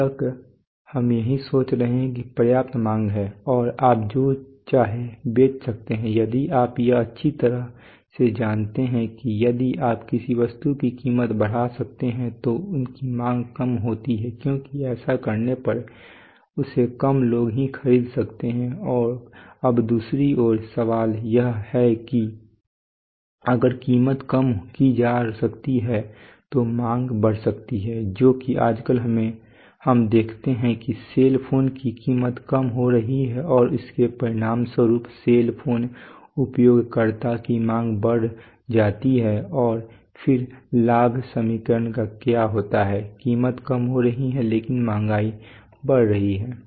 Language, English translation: Hindi, Till now we are you are thinking that there is a enough demand and you can you can sell whatever you want now if you it is well known that if you increase the price of an object you can increase its demand tends to decrease because less people can afford it right and now the question is on the other hand if price can be reduced then demand can be demand tends to go up that’s what we see nowadays every day, price of cell phones are decreasing and that is resulting in huge demand of cell phone users and then what happens to the profit equation, price is reducing but demand is then increasing